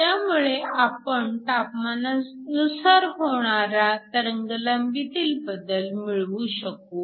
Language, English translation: Marathi, So, we can calculate the change in wavelength with respect to temperature